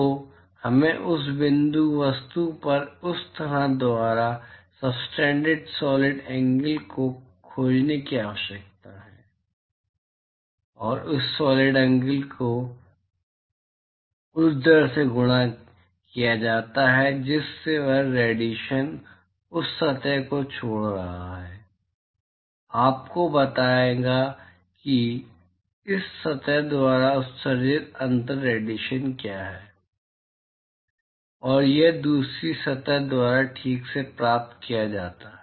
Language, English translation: Hindi, So, we need to find the solid angle that is subtended by this surface on that point object and that solid angle multiplied by the rate at which the radiation is leaving that surface will tell you what is the differential radiation that is emitted by this surface; and this is received by the second surface alright